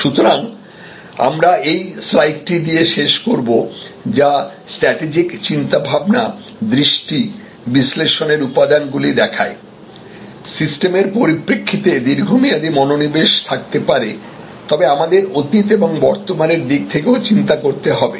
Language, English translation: Bengali, So, we will conclude with this slide which shows the components of strategic thinking, the vision, the analysis, with the systems perspective there may be a focus on the long term, but we have to think in terms of the past and the present